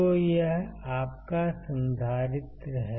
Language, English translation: Hindi, So, this is your capacitor